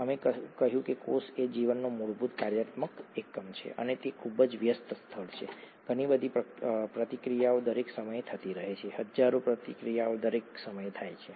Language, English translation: Gujarati, We said, cell is the fundamental functional unit of life and it’s a very busy place, a lot of reactions happening all the time, thousands of reactions happening all the time